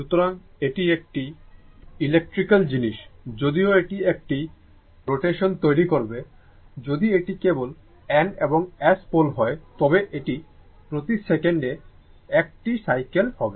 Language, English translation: Bengali, So, it is electrical thing although if it will it will make your one rotation, if it is only N and S pole, then it is 1 cycles per second right